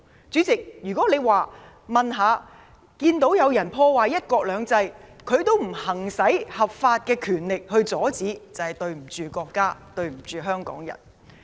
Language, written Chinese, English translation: Cantonese, 主席，若看到有人破壞"一國兩制"，政府也不合法行使權力阻止，就對不起國家，對不起香港人。, President if the Government when witnessing some people sabotaging one country two systems does not lawfully exercise its power to stop them it will fail our country and Hong Kong people